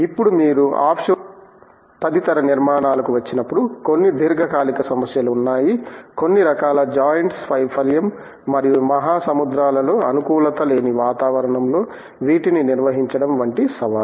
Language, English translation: Telugu, Now, when you come to the offshore structures, etcetera, there are long terms problems such as fatigue, the failure of certain kinds of joints and the challenges of handling these in the hostile environment in the oceans